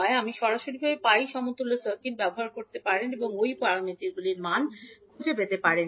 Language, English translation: Bengali, You can directly use the pi equivalent circuit and find out the value of y parameters